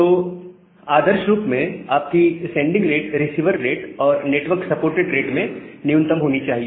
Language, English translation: Hindi, So that is why your sending rate should be minimum of the receiver rate and the network supported rate